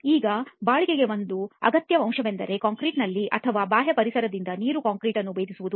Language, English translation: Kannada, Now one essential component of durability is the water that is present in concrete or which penetrates concrete from the external environment